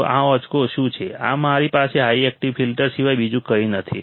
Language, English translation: Gujarati, So, what is this figure, this is nothing but my high pass active filter